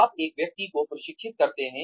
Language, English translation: Hindi, You train one person